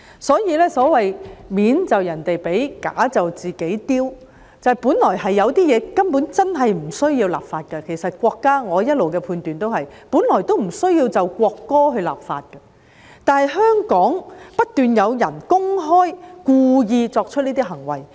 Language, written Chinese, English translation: Cantonese, 所謂"面就人哋俾，架就自己丟"，本來有些東西根本真的不需要立法，我一直的判斷是本來也不需要就國歌立法，但香港不斷有人公開故意作出這些行為。, There are certain things on legislation is not necessary indeed and my judgment has always been that there is no need to legislate with respect to the national anthem . However some people in Hong Kong have been deliberately doing such acts in public